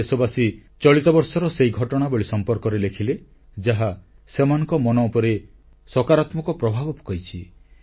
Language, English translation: Odia, Some countrymen shared those incidents of this year which left a special impact on their minds, a very positive one at that